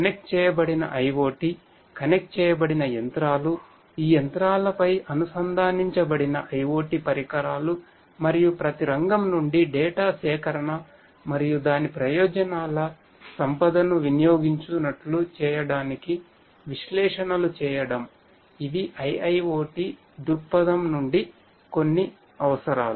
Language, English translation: Telugu, Connected IoT, connected machinery, connected IoT devices on these machineries and so and the collection of data from each sector and performing analytics to exploit the wealth of its benefits, these are some of the requirements from IIoT perspective